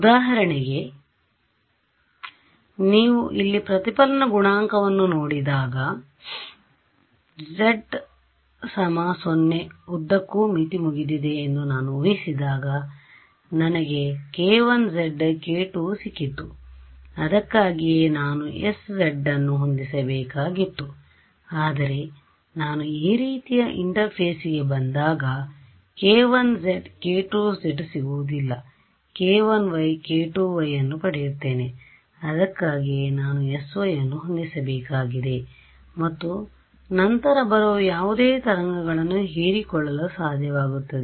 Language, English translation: Kannada, For example, when you look at the reflection coefficient over here when I assume that the boundary was over along the z z equal to 0 I got k 1 z k 2 z that is why I needed to set s z, but when I come to an interface like this I will not get k 1 z and k 2 z I will get k 1 y and k 2 y that is why I need to set s y and then it is able to absorb any wave coming at it